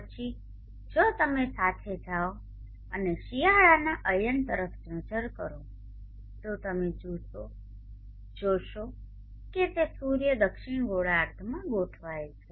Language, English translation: Gujarati, Then if you go along and look at the winter solve sties you see that it is the sun is align in the southern hemisphere